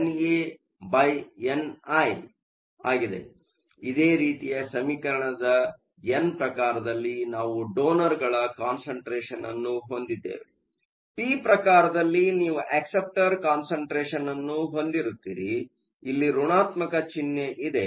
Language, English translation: Kannada, So, the similar expression to this except that in an n type, we have a concentration of the donors; in p type you have concentration of acceptors, and there is a negative sign here